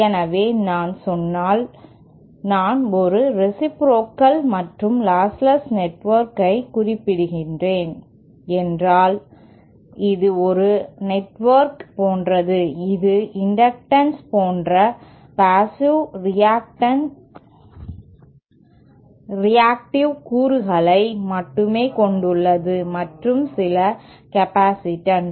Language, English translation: Tamil, So if I say, if I am referring to a reciprocal and lostless network when it is like a network which contains only passive reactive elements like inductances and say some capacitates there are no resistances in that network